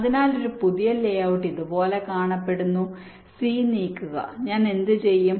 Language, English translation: Malayalam, so new layout looks like this: move c, move c, what i do